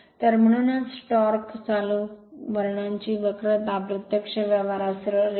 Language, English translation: Marathi, So, therefore, there is the curve of torque current character is practically a straight line